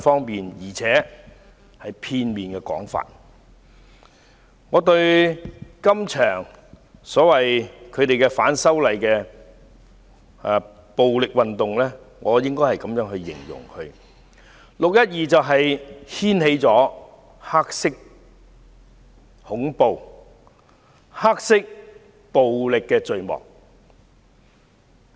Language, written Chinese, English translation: Cantonese, 對於這場反對派稱為反修例的暴力運動，我這樣形容："六一二"掀開黑色恐怖及黑色暴力的序幕。, Regarding this violent movement of opposition to the proposed legislative amendments as claimed by opposition Members I will say that the 12 June incident marks the beginning of black terror and black violence instead